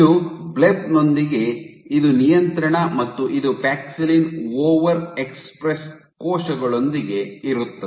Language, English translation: Kannada, So, this is with Blebb this is control and this is with paxillin over express cells